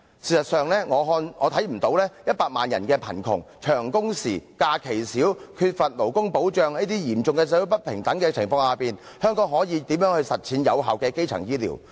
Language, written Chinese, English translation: Cantonese, 事實上，我未能看到在100萬人的貧窮、長工時、假期少、缺乏勞工保障，這種嚴重社會不平等的情況下，香港可以如何實踐有效的基層醫療服務。, In fact I am unable to see how Hong Kong can under the serious social inequality condition of having 1 million people living in poverty and employees suffering from long working hours few holidays and lack of labour protection put into practice effective primary health care services